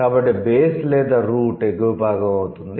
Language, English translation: Telugu, So, the base or the root would be the upper part word